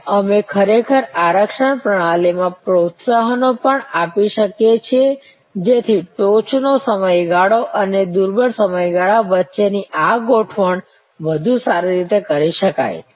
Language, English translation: Gujarati, And we can also actually give incentives in the reservation system, so that this adjustment between the peak period and the lean period can be done better